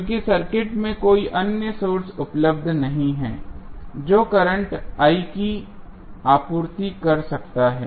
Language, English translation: Hindi, Because there is no any other source available in the circuit, which can supply current I